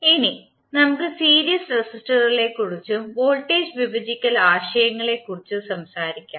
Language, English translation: Malayalam, Now, let us talk about the series resistors and the voltage division concepts